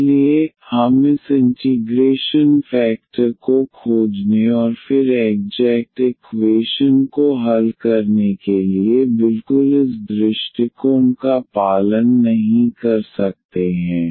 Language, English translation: Hindi, So, we may not follow exactly this approach here finding this integrating factor and then solving the exact equation